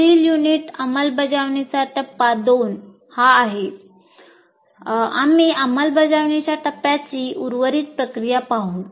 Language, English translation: Marathi, And in the next unit, which is implementation phase two, we look at the remaining processes of implementation phase